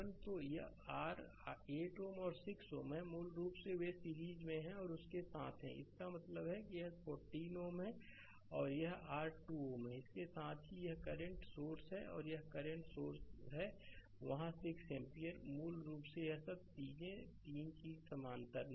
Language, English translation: Hindi, So, this is this is your 8 ohm and 6 ohm basically they are in series and the and with that and that means, this is your 14 ohm right and this is your 2 ohm, and with that this current source is there, this current source is there 6 ampere basically this all this 3 things are in parallel right